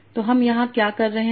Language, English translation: Hindi, So we'll discuss what are these